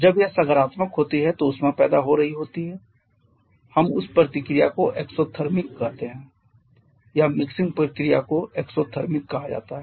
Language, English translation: Hindi, When it is positive then heat is being produced we call that reaction to be exothermic or that mixing process are called to be exothermic